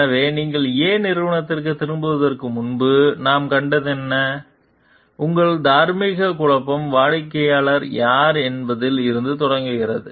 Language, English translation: Tamil, So, what we find like, before you got back to company A so, your moral dilemma starts from the fact that whoever is the client